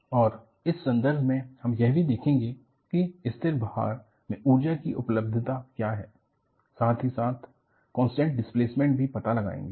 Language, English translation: Hindi, And, in the context, we will also see, what the energy availability is in constant load, as well as constant displacement